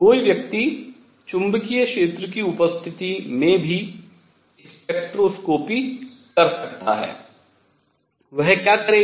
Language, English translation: Hindi, One could also do spectroscopy in presence of magnetic field what would that do